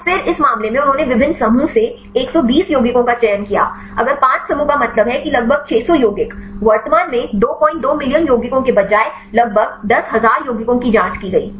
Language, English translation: Hindi, So, then this case they selected the compounds 120 compounds from different groups; if 5 groups means that about 600 compounds; it currently screened about 10000 compounds instead of 2